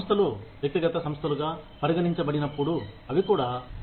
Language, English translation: Telugu, Organizations, when considered as individual entities, are also hedonistic